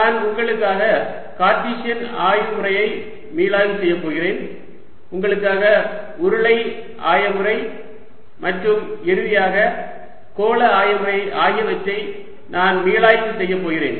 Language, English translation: Tamil, i am going to review for you cartesian coordinate system, i am going to use for review for you the cylindrical coordinate system and finally the spherical coordinate system